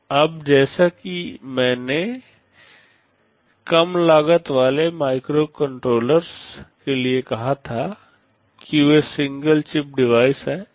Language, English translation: Hindi, Now as I had said for low cost microcontrollers, that they are single chip devices